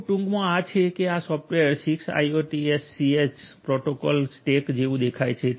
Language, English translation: Gujarati, This is at very nutshell this is how this software defined 6TiSCH protocol stack looks like